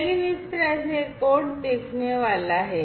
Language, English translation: Hindi, But this is how this code is going to look like